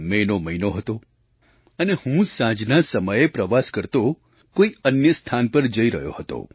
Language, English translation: Gujarati, It was the month of May; and I was travelling to a certain place